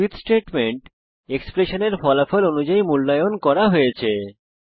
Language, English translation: Bengali, Switch statement is evaluated according to the result of the expression